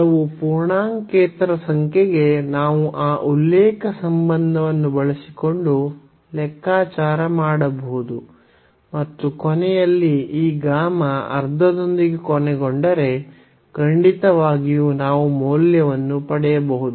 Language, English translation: Kannada, So, for some non integer number as well we can compute using that reference relation and at the end if we end up with this gamma half then certainly we can get the value